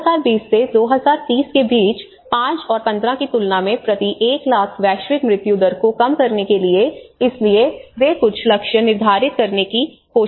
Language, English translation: Hindi, Aiming to lower average per 1 lakh global mortality between 2020 and 2030 compared to 5 and 15 so they are trying to set up some targets